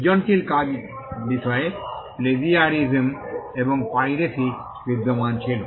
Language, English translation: Bengali, There existed piracy with regard to works creative works and also plagiarism